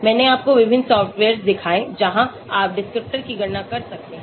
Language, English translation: Hindi, I showed you different softwares where you can calculate descriptors